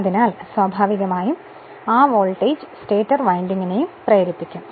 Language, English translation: Malayalam, So, naturally that voltage will also induce in your what you call in the stator winding